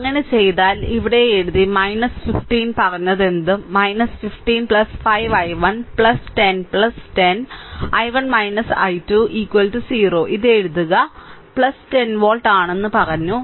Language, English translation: Malayalam, So, if you if you do so, here I written minus 15 whatever I said minus 15 plus 5 i 1 plus 10 plus 10 i 1 minus i 2 is equal to 0, I told you that you write it is plus 10 volt